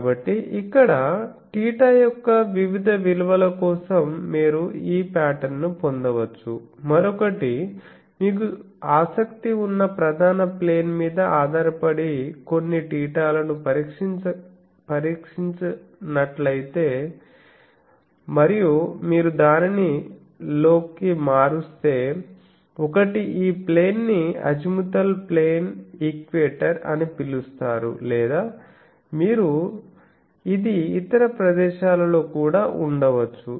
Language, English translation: Telugu, So, here for various values of theta sorry various values of theta you can get this pattern, the other one if you fix some theta depending on which principal plane you are interested and if you vary it in the phi you get that this is this may be called a plane as a azimuth plane equator is one or you can have in other places also